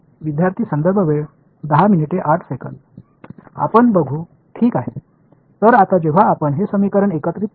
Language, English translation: Marathi, We will see alright; So now, when we combine these equation